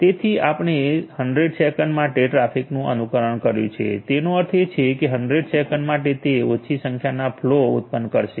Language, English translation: Gujarati, So, we have simulated emulated the traffic for 100 seconds so; that means, for 100 seconds it will generate few number flows